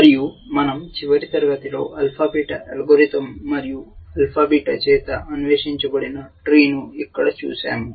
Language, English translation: Telugu, And we saw in a last class the alpha beta algorithm, and the tree that was explored by alpha beta we saw here